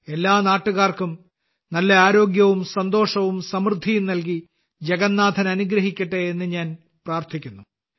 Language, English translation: Malayalam, I pray that Lord Jagannath blesses all countrymen with good health, happiness and prosperity